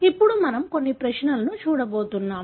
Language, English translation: Telugu, So, now we are going to look at some problems